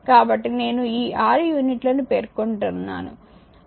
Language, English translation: Telugu, So, just I am giving with this 6 units so, table 1